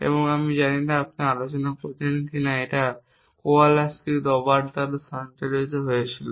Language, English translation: Bengali, And I do not know whether we had discussed is sometime but the view that was performed by Kowalski Robert